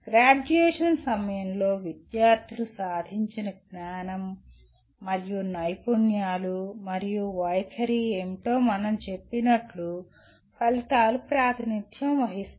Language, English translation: Telugu, Outcomes represent as we said what the knowledge and skills and attitude students have attained at the time of graduation